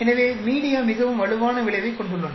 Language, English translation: Tamil, So media has a very strong effect